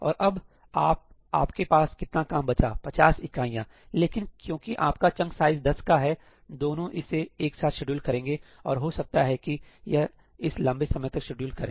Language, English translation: Hindi, And now, how much work are you left with another 50 units, but since your chunk size is 10, both of them schedule it together and may be this one schedules it longer